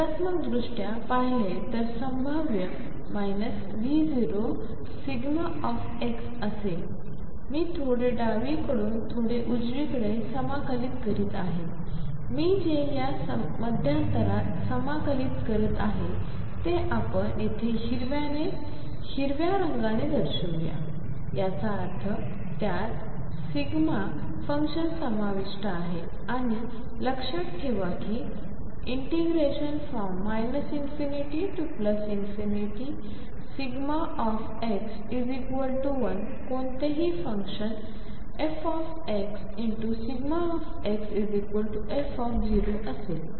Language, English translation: Marathi, Pictorially if this is the potential minus V 0 delta x I am integrating from slightly left from a to slightly right I am integrating in this interval shown by green here; that means, its include the delta function and keep in mind that integration of delta x d x from 0 minus to 0 plus is 1 any function f x delta x integrated over from 0 minus to 0 plus is equal to f at 0